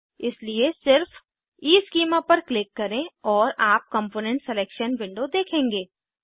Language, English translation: Hindi, Hence, simply click on EESchema and you will see the component selection window